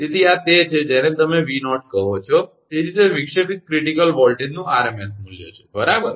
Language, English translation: Gujarati, So, this is your what you call V0, that is that rms value of the disruptive critical voltage, right